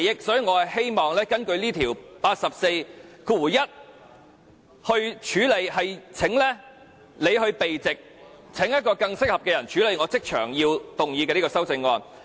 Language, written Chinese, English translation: Cantonese, 所以，我希望根據《議事規則》第841條，請梁君彥議員避席，另請一位更適合的人來處理我即場動議的這項修正案。, So I wish to request the withdrawal of Mr Andrew LEUNG under RoP 841 so that another suitable person can handle my amendment to be moved now